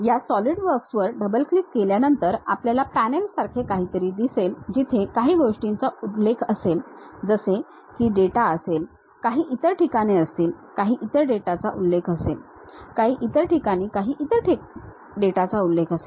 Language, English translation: Marathi, After double clicking these Solidworks we will have something like a panel, where some of the things mentions like these are the data, there will be some other places some other data mentions, some other locations some other data will be mentioned